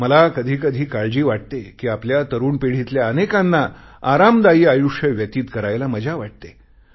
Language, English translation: Marathi, I am sometimes worried that much of our younger generation prefer leading life in their comfort zones